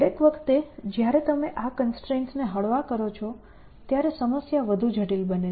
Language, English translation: Gujarati, Every time you relax this constraints, the problem becomes more complex in terms